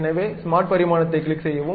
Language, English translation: Tamil, So, smart dimension, click